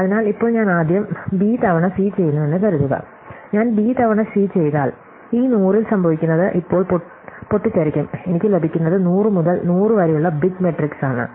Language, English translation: Malayalam, So, now, supposing I do B times C first, if I do B times C what happens is in this 100 will now blow up and I will get a big matrix which is 100 by 100